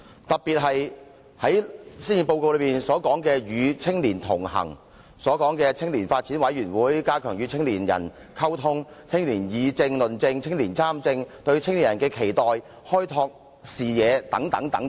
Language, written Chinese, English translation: Cantonese, 特別是施政報告內曾提及與青年同行、青年發展委員會、加強與青年人溝通、青年議政、論政、青年人參政、對青年人的期待、開拓視野等。, Consultation is especially necessary due to what is said in the recent Policy Address connecting with young people the Youth Development Commission stepping up communication with young people participation of young people in policy discussion and politics expectation on young people and broadening young peoples horizons